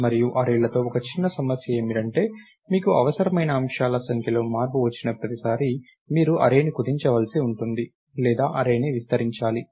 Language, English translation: Telugu, one small issue with the arrays is that every time there is a change in the number of items that you need, you either have to shrink the array or ah